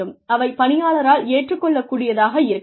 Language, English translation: Tamil, They should be acceptable to the employee